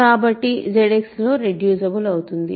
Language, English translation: Telugu, So, it is reducible in Z X